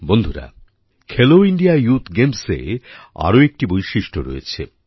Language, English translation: Bengali, Friends, there has been another special feature of Khelo India Youth Games